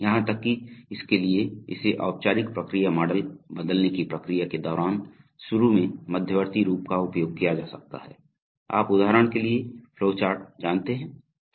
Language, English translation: Hindi, Even for the, during the process of transforming it into a formal process model one may initially use intermediate forms like, you know like flow charts for example, okay